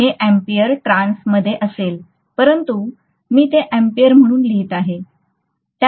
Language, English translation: Marathi, Whereas this will be in ampere turns but I am going to write that as amperes, okay